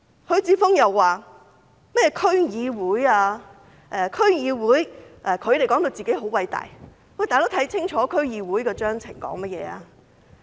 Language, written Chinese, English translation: Cantonese, 許智峯議員又談及區議會，他們說到自己很偉大，看清楚區議會的章程吧。, Mr HUI Chi - fung also talked about the District Council as if they have done a great job . Please read the statutes of the District Council carefully